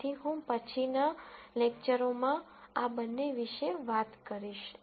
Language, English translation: Gujarati, So, I will talk about both of these, in later lectures